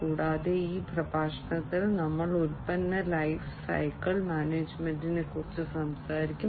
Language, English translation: Malayalam, And also in this lecture, we will talk about product lifecycle management